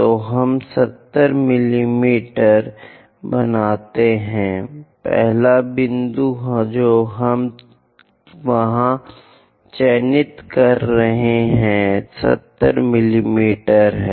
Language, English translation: Hindi, So, let us draw 70 mm, 70 mm, first point we are marking there, 70 mm we are marking, this is the one